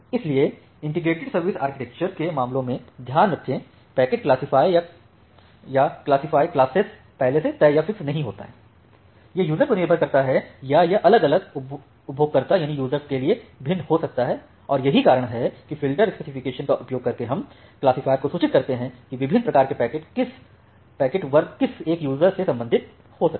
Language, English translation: Hindi, So, remember in case of your integrated service architecture, the packet classifier or the classifier classes are not fixed or predetermined, it can be user based or it can vary from user to user and that is why we are using filterspec to inform the classifier that what different type of packet classes can belong to a particular user